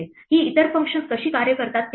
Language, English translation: Marathi, Let us see how these other functions work